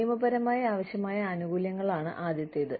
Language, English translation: Malayalam, The first one is, legally required benefits